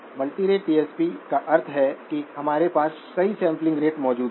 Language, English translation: Hindi, Multirate DSP implies we have multiple sampling rates present